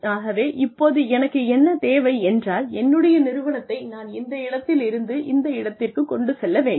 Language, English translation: Tamil, So, what do I need to take my organization, from here to here